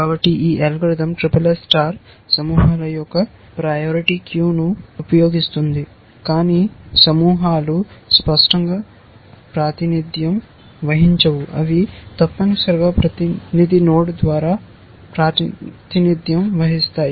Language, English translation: Telugu, So, this algorithm SSS star, it uses a priority queue of clusters, but clusters are not represented explicitly, they are represented by the representative node essentially